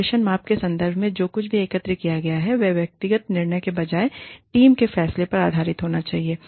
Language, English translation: Hindi, Whatever is collected, in terms of the performance measure, should be based on team judgement, rather than on individual judgement